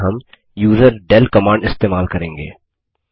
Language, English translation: Hindi, For this we use userdel command